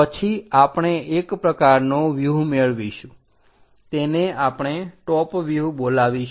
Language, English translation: Gujarati, Then, we will get one kind of view, that is what we call top view